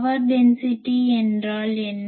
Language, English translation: Tamil, What is the power density